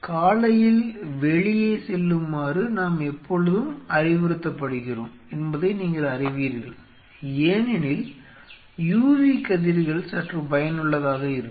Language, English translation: Tamil, So, you know that our, we are being always advised and you know in the morning go out and because there are u v rays which are slightly helpful